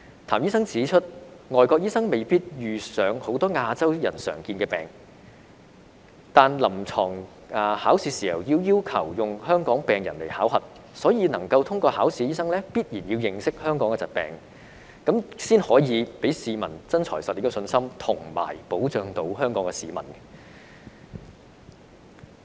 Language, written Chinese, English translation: Cantonese, 譚醫生指出，外國醫生未必遇上很多亞洲人的常見病，但考臨床試時，因為要求以香港病人來考核，所以能夠通過考核的醫生，必然要認識香港的疾病，才可以給市民"真材實料"的信心，以及保障香港市民。, According to Dr TAM doctors in foreign countries may not encounter many common diseases among Asians yet they are required to assess Hong Kong patients during the clinical examination . Therefore doctors who can pass the assessment must understand the diseases in Hong Kong such that they are able to give the public confidence that they possess professional competence and solid knowledge and can protect Hong Kong people